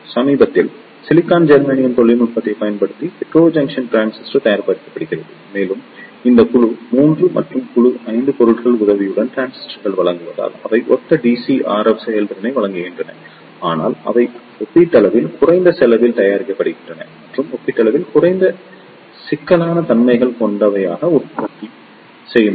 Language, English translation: Tamil, Recently, hetrojunction transistor is made using the silicon germanium technology and they provide the similar DC RF efficiency as the transistors provide with the help of these group 3 and group 5 materials, but they are made at relatively low cost and with relatively low complexity in the manufacturing process